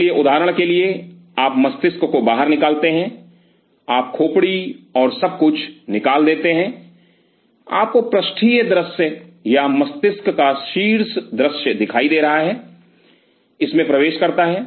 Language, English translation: Hindi, So, for example, you take out the brain you remove the skull and everything, you are having the dorsal view or the top view of the brain it sinks with the